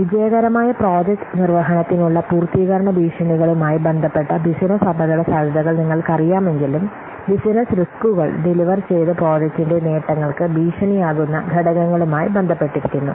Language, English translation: Malayalam, We know that the business risks, they are related to the threats to completion to successful project execution, whereas business risks are related to the factors which will threat the benefits of the delivered project